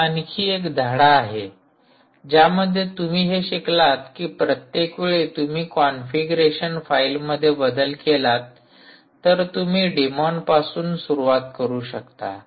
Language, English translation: Marathi, so this is another lesson that you learn: that every time you modify the configuration file, you must restart the demon so that changes are affected